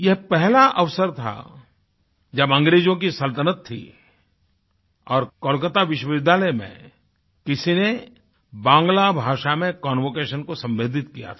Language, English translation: Hindi, This was the first time under British rule that the convocation in Kolkata University had been addressed to in Bangla